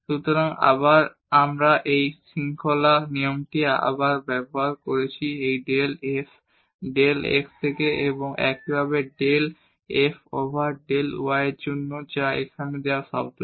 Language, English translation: Bengali, So, we have used this chain rule again from this del f over del x and also similarly for del f over del y which is the term given here